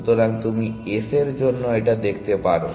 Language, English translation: Bengali, So, you can see that for s